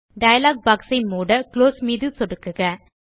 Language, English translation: Tamil, Click on the Close button to close the dialog box